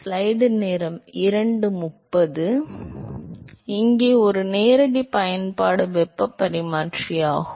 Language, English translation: Tamil, So, here a direct application is heat exchanger